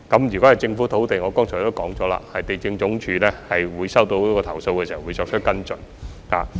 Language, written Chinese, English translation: Cantonese, 如果是政府土地，正如我剛才已表示，地政總署在收到投訴後會作出跟進。, If it is government land LandsD will as I have said just now take follow - up actions upon receiving complaints